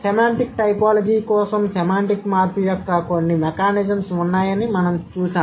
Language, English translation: Telugu, For semantic typology, we have seen there are certain mechanisms of semantic change